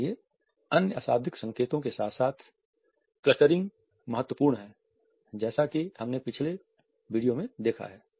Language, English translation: Hindi, So, clustering with other nonverbal signals is important as we have already seen in the previous video